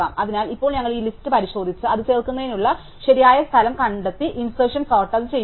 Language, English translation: Malayalam, So, now we walk down this list and find the correct place to insert it, and insert it as we doing insertion sort